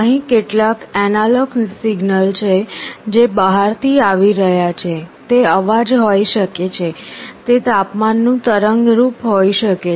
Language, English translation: Gujarati, There is some analog signal which is coming from outside, this can be a voice, this can be a temperature waveform